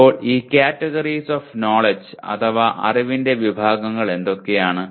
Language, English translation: Malayalam, Now what are these categories of knowledge